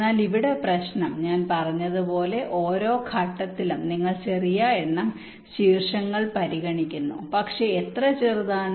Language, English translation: Malayalam, but the problem here is that, as i had said, you are considering small number of vertices at each steps, but how small